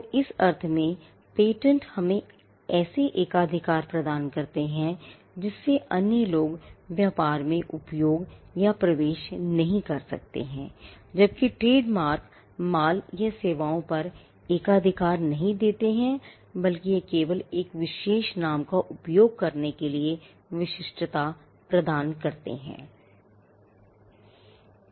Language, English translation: Hindi, So, patents in that sense offer a monopoly in such a way that, others cannot use or enter the trade whereas, trademarks do not offer a monopoly on the goods or services rather it only gives an exclusivity in using a particular name